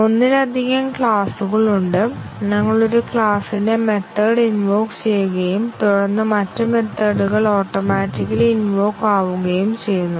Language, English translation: Malayalam, There are multiple classes we are just invoking method of one class and then the other methods are automatically in invoked